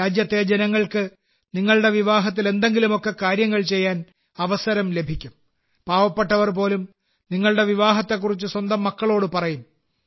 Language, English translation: Malayalam, The people of the country will get an opportunity to render some service or the other at your wedding… even poor people will tell their children about that occasion